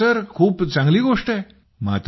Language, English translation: Marathi, Yes Sir, it is a very nice thing